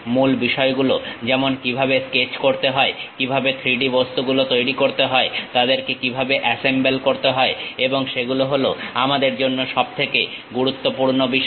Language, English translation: Bengali, The basic things like how to sketch, how to make 3D objects, how to assemble made them is the most important thing for us